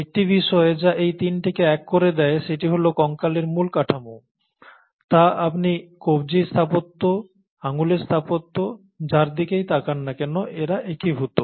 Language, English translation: Bengali, One thing which unites these three is the basic architecture of the skeleton, and that is unified, whether you look at the wrist architecture, the finger architecture